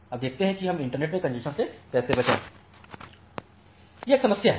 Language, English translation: Hindi, Now, let us see that how we avoid congestion in the internet